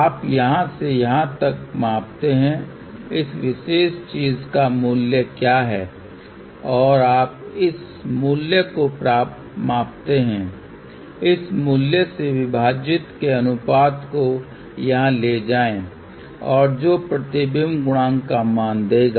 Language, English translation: Hindi, You measure from here to here, what is the value of this particular thing and you measure this value, take the ratio of this divided by this value over here and that will give the value of the reflection coefficient